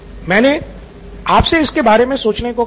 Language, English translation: Hindi, I said you should be thinking about this